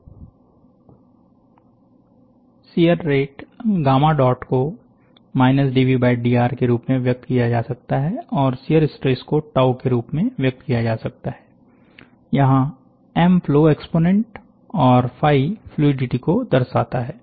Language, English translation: Hindi, The solidification rate, the shear rate can be the gamma dot, can be expressed as dv by dr and the shear stress can be expressed in tau, where m represents the flow exponent and phi represents the fluidity